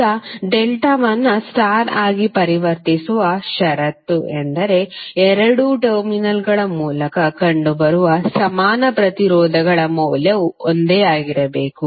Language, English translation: Kannada, Now, the condition for conversion of delta into star is that for for the equivalent resistance seen through both of the terminals, the value of equivalent resistances should be same